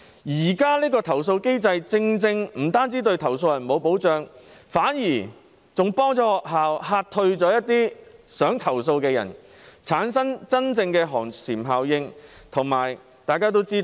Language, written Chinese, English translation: Cantonese, 現行投訴機制不但對投訴人沒有保障，反而更幫助學校嚇退了一些想投訴的人，產生真正的寒蟬效應。, Not only does the existing complaint mechanism fail to offer protection to the complainant but it also helps schools to deter those who want to lodge a complaint thus creating a real chilling effect